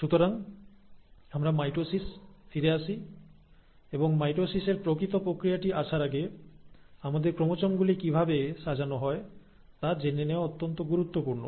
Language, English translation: Bengali, So let us come back to mitosis and before I get into the actual process of mitosis, it is very important to understand how our chromosomes are arranged